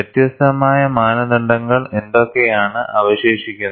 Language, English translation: Malayalam, And what are the different standards exist